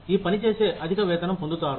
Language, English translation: Telugu, People doing this work, will get a higher pay